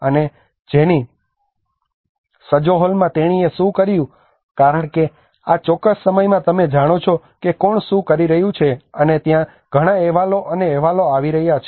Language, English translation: Gujarati, And Jennie Sjoholm what she did was because in this particular point of time there is a huge jargon on you know who is doing what and there are many reports coming on reports and reports